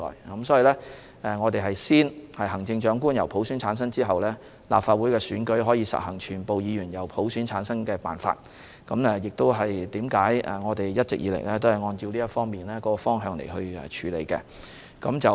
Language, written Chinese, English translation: Cantonese, 因此，行政長官先由普選產生，立法會選舉才可以實行全部議員由普選產生的辦法，我們一直以來都循這個方向處理。, Hence it is only after the Chief Executive is selected by universal suffrage that the Legislative Council election may be implemented by the method of electing all the Members by universal suffrage . We have all along worked in this direction